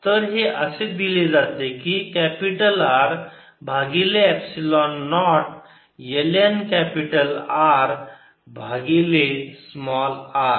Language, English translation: Marathi, this is given by capital r over epsilon naught l n capital rover small r